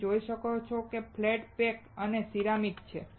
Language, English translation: Gujarati, You can see it is a flat pack and it is a ceramic